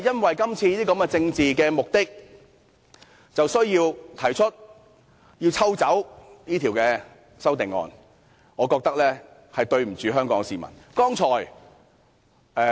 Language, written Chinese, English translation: Cantonese, 為了今次的政治目的，便要提出撤回《條例草案》，我認為這樣做對不起香港市民。, It withdrew the Bill to achieve the current political goal; I think the Government is not doing justice to the people in Hong Kong